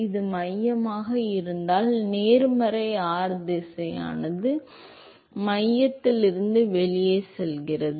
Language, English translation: Tamil, If this is the centre, so the positive r direction is going outside from the centre